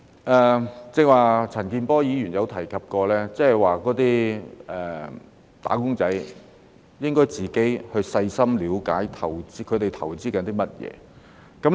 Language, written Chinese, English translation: Cantonese, 但是，陳健波議員剛才提及，"打工仔"應該自行細心了解自己的投資內容。, However as mentioned by Mr CHAN Kin - por just now wage earners should carefully look into the particulars of their own investment by themselves